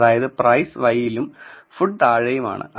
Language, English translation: Malayalam, So, price is in the y and I have food below